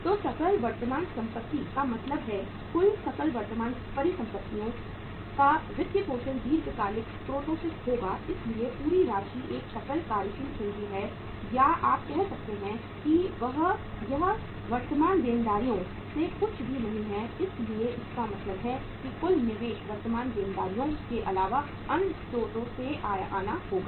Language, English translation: Hindi, So gross current assets means funding of the total gross current assets will be from the long term sources so entire amount is a gross working capital or you can say it is nothing coming from the current liabilities so it means total investment has to come from the sources other than the current liabilities